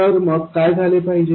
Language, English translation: Marathi, Then what should happen